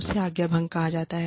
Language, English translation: Hindi, That is called insubordination